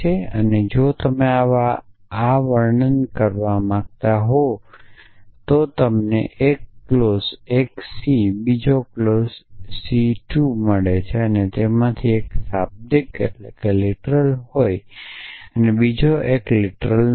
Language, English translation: Gujarati, rule if you get 1 clause C 1 another clause C 2 and one of them has literal and one of them has a negation of that literal